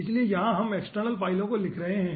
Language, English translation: Hindi, so we are writing the external files, okay, all the results